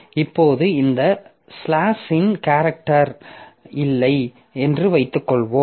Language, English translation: Tamil, Now suppose this slash n character is not there